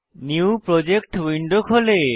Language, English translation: Bengali, A New Project window opens up